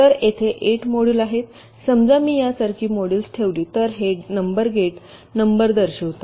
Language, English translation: Marathi, suppose if i place the modules like this, this numbers indicate the gate numbers